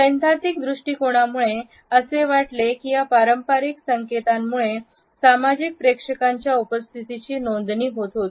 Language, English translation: Marathi, The theoretical approach felt that these conventional cues helped us in registering a social presence that is associated with certain levels of association